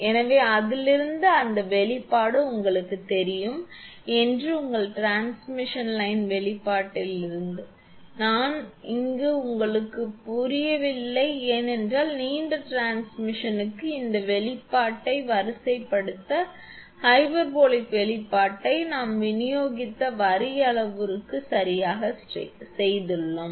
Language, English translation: Tamil, So, from that we can write that this expression you know that from your transmission line expression, I am not deriving here these are known to you because for long transmission, line this expression that hyperbolic expression we have made it right for distributed line parameters